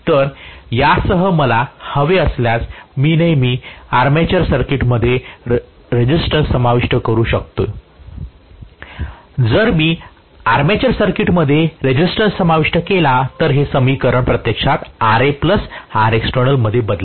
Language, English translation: Marathi, So, along with this if I want I can always include a resistance in the armature circuit, if I include a resistance in the armature circuit that will actually modify this equation to Ra plus Rexternal